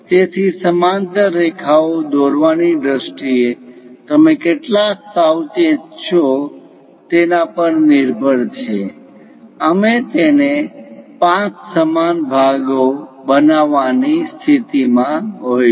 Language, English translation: Gujarati, So, it depends on how careful you are in terms of constructing these parallel lines; we will be in a position to make it into 5 equal parts